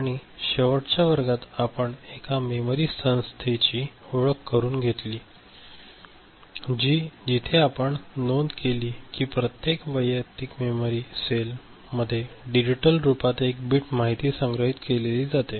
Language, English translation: Marathi, And in the last class we got introduced to a memory organization where we had noted that each individual memory cell are the ones where the digital information is stored ok, in the form of one bit information ok